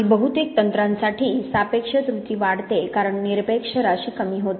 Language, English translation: Marathi, And for most techniques the relative error increases as the absolute amount decreases